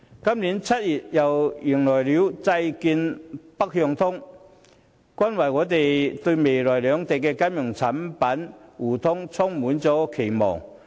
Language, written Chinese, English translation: Cantonese, 今年7月，香港又迎來債券"北向通"，令我們對兩地未來的金融產品互聯互通充滿期盼。, In July this year Northbound Trading of Bond Connect was launched in Hong Kong giving us high hopes for the future two - way mutual access of financial products